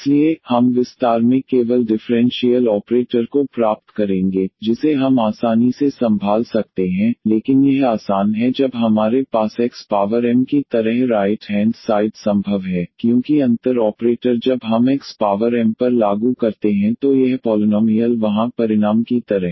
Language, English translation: Hindi, So, we will get in the expansion only the differential operator which we can handle easily, but this is easy this is possible when we have the right hand side like x power m, because the differential operator when we apply on x power m this polynomial kind of result there